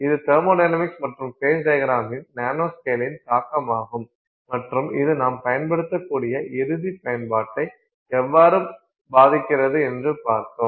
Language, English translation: Tamil, So, this is the impact of a nanoscale on thermodynamics and phase diagram and such and how it impacts the end use that we can put it to